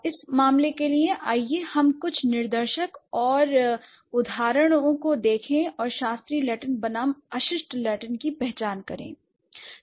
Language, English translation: Hindi, So, for that matter, let's look at the example of certain demonstratives and identities in classical Latin versus vulgar Latin